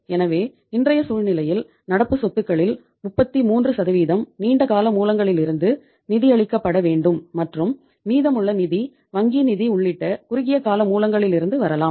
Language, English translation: Tamil, So in today’s scenario 33% of the current assets should be financed from the long term sources and remaining funds can come from the short term sources including bank finance